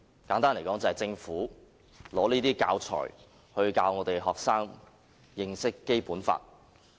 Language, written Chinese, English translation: Cantonese, 簡單來說，就是政府拿這些教材教學生認識《基本法》。, Put simply the Government will use such materials for teaching the Basic Law to students